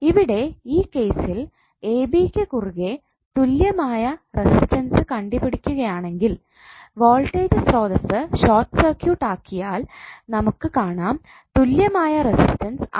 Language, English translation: Malayalam, So if you see this case and you are trying to find out equivalent resistance across ab when voltage source is short circuited you will see equivalent resistance is R